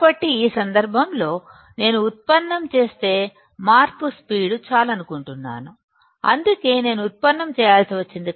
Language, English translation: Telugu, So, in this case if I do the derivation because I want to see the rate of change that is why I had to do derivation